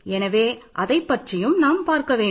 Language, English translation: Tamil, We have to also deal with this